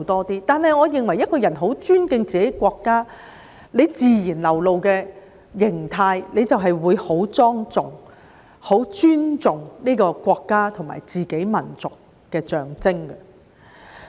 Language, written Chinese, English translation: Cantonese, 但是，我認為如果一個人很尊敬自己的國家，其自然流露的形態便是會很莊重，以示尊重國家和民族的象徵。, However I think that if a person respects his country his natural form will be very solemn which is a way to show respect for the symbol of his country and the nation